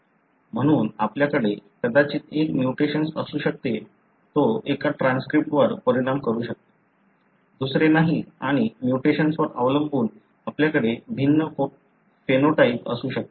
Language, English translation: Marathi, So you may have a mutation that may affect one of the transcripts, not the other and depending on the mutation you may have a different phenotype